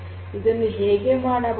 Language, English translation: Kannada, So, how that can be done